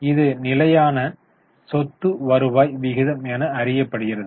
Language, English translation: Tamil, This is fixed asset turnover ratio as it is known as